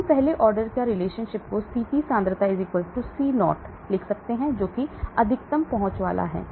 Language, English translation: Hindi, So we can write first order relationship Ct concentration = C0 that is the maximum it reaches